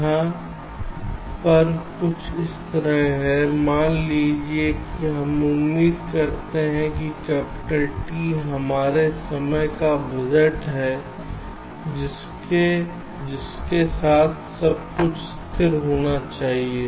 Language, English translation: Hindi, it is something like this: suppose we expect that capital t is our time budget, with which everything should get stable